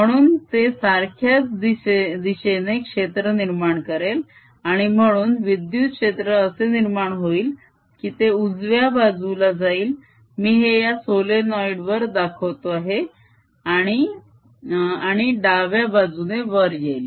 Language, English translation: Marathi, so it'll try to produce a field in the same direction and therefore the electric field produced will be such that it goes in on the right side i am making it on the solenoid and comes out on the left side